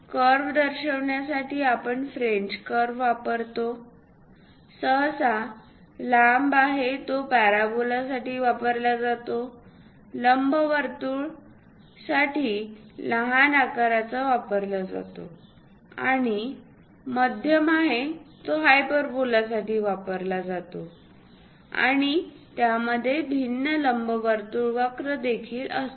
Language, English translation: Marathi, To represent a curve, we use French curves; usually, the longer ones are used for parabola ; the shorter ones used for ellipse and the medium ones are used for hyperbolas, and also, it contains different elliptic curves also